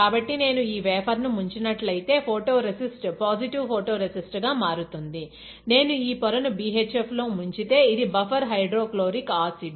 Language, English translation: Telugu, So, if I dip this wafer, this is my photo resist as a positive photo resist; if I dip this wafer in BHF, which is buffer hydrochloric acid